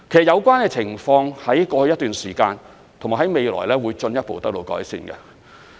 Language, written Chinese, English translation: Cantonese, 有關情況在過去一段時間和未來會進一步得到改善。, Such situations however have been improved or will be further improved in the future